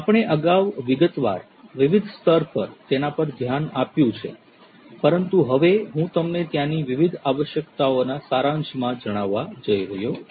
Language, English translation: Gujarati, We have looked at it in different levels of detail earlier, but now I am going to expose you to the summary of the different requirements that are there